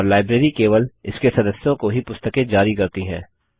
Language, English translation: Hindi, And the library issues books to its members only